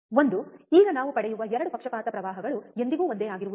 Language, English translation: Kannada, One, now the 2 bias currents that we get are never same, right